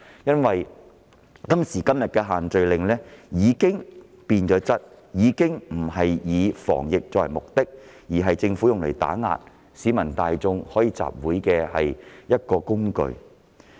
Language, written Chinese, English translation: Cantonese, 因為今時今日的限聚令已經變質，已經不是以防疫作為目的，而是政府用作打壓市民大眾集會自由的工具。, This is because the restrictions are now no longer used to achieve anti - epidemic purposes but as a tool employed by the Government to suppress the freedom of assembly enjoyed by the general public